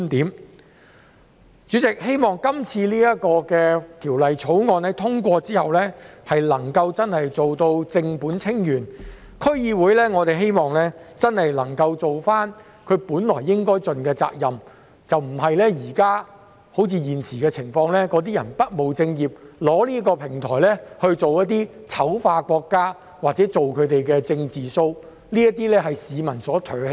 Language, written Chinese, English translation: Cantonese, 代理主席，我希望《條例草案》通過後能夠真正做到正本清源，讓區議會能夠盡其應有責任，而不是好像現在般不務正業，被用作醜化國家或做"政治 show" 的平台，這是市民所唾棄的。, Deputy President I hope that the passage of the Bill can truly resolve problems at root so that DCs can well perform its duties and will no longer be used as a platform for smearing the country or staging political shows without doing proper business . This is what the people hate